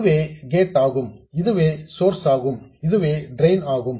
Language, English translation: Tamil, This is the gate, this is the source and this is the drain